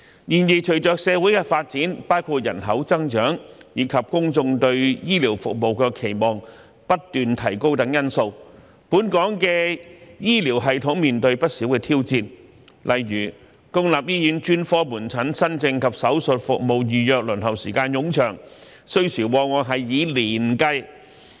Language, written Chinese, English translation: Cantonese, 然而，隨着社會的發展，包括人口增長，以及公眾對醫療服務的期望不斷提高等因素，本港的醫療系統面對不少挑戰，例如公立醫院專科門診新症及手術服務預約輪候時間冗長，需時往往以年計。, However as our society develops with population growth and rising public expectations for healthcare services Hong Kongs healthcare system is in the face of tremendous challenges . For example the waiting time for new case bookings for specialist outpatient services and surgical services in public hospitals is so long that patients may often have to wait for years